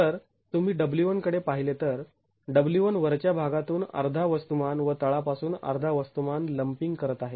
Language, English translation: Marathi, So, if you look at W1, W1 is lumping half the mass from the top and half the mass from the bottom